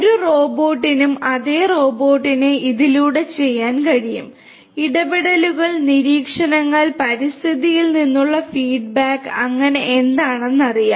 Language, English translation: Malayalam, A robot also can do the same robot through it is interactions, observations, feedback from the environment and so on will know that what is what